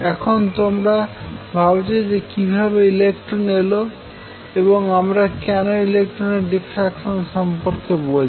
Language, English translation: Bengali, Now you must be wondering so far how come I am talking about electrons why talking about diffraction of electrons